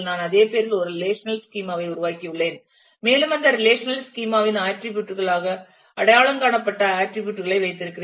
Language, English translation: Tamil, I have created a relational schema by the same name and have put the attributes as identified as attributes of that relational schema